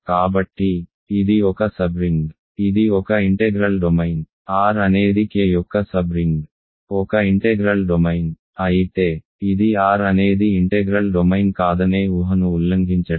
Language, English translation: Telugu, So, it is a sub, it is an integral domain, R being a sub ring of K is an integral domain, but that of course, is a violation of the assumption that R is not an integral domain